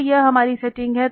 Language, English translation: Hindi, So this is our setting